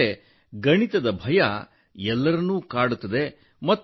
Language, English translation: Kannada, Because the fear of mathematics haunts everyone